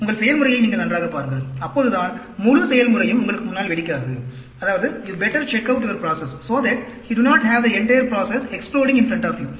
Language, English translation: Tamil, You better check out your process, so that, you do not have the entire process exploding in front of you